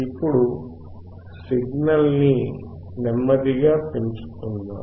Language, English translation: Telugu, Now, let us increase the signal slowly